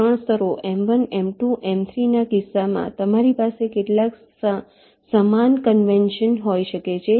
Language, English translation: Gujarati, ok, in case of three layers m one, m two, m three you can have some similar conventions